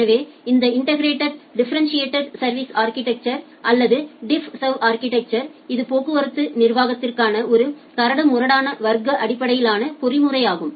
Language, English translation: Tamil, So, this differentiated service architecture or the DiffServ architecture it is a coarse grained, class based mechanism for traffic management